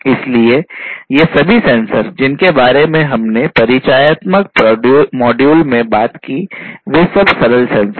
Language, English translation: Hindi, So, all these sensors that we talked about in the introductory module before these are simple sensors